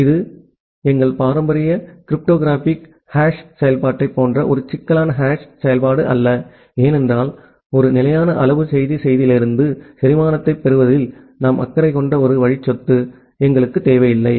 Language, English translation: Tamil, It is not a complicated hash function like our traditional cryptographic hash function, because we do not require that one way property that much rather we are just concerned about to get a fixed size message digest out of the message